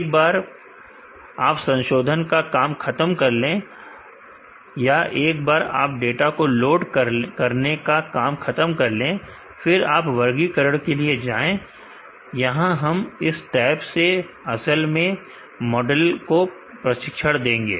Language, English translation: Hindi, Once you are done modifying, or once you are done loading the data go to classify, here we will actually train the model, in this tab